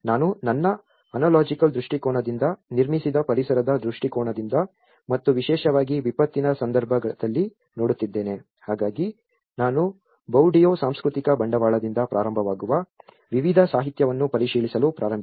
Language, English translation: Kannada, I am looking from my ontological perspective, the built environment perspective and especially, in a disaster context, so that is where I started reviewing a variety of literature starting from Bourdieu’s cultural capital